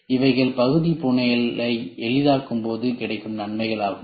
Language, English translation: Tamil, So, these are the advantages you get when we try to make the part fabrication easy